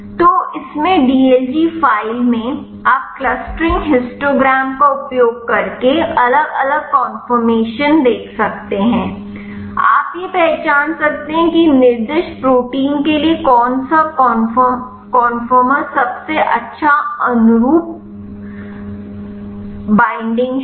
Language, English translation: Hindi, So, in this; in the dlg file, you can see the different conformations using clustering histogram you can identify which conformation is the best conforma binding conformation for the specified protein